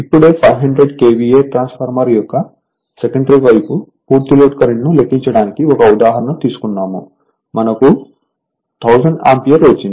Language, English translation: Telugu, Just now we took 1 example to compute the full load current on the secondary side that is 500 KVA transformer we got 1000 ampere just now we did we do 1 problem